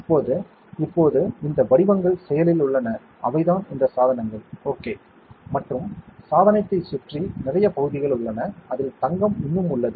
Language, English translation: Tamil, Now, the active that these patterns that you are seeing are the devices, ok and the devices are there are lot of area where around the device which is where gold is still there